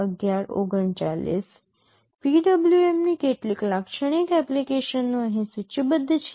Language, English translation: Gujarati, Some typical applications of PWM are listed here